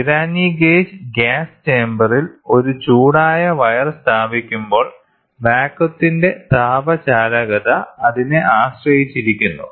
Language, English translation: Malayalam, Pirani gauge when a heated wire is placed in the chamber of gas, the thermal conductivity of the gas depends on it is pressure